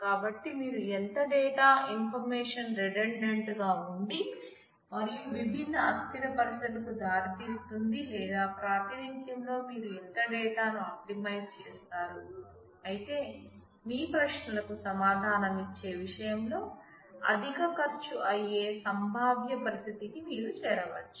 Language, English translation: Telugu, So, there is a tradeoff between how much data information if you make redundant and lead to different anomalous situations or how much data you optimize in the representation, but get into the possible situation of having a higher cost in terms of answering your queries